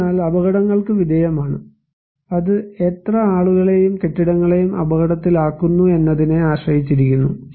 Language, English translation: Malayalam, So, exposed to hazards; it depends on how many people and the buildings are exposed to a hazard